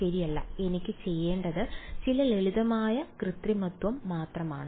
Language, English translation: Malayalam, No right it is just some simple manipulation that I have to do